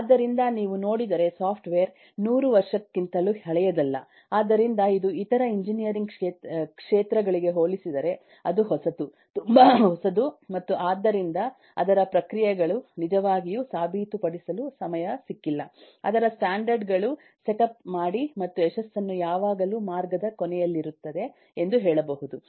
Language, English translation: Kannada, so its its, compared to other fields of engineering, its very, very nascent, very, very new and therefore it has not got a time really prove its processes, setup its standards and make sure that the success will always be at the end of the route